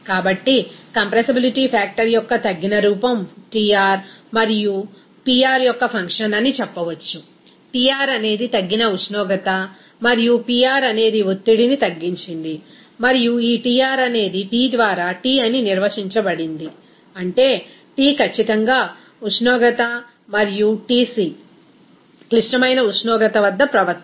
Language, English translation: Telugu, So, we can say that reduced form of compressibility factor is a function of Tr and Pr, Tr is reduced temperature and Pr is reduced pressure, and this Tr is defined as T by Tc, that means T at certain that is temperature and Tc is the behavior at critical temperature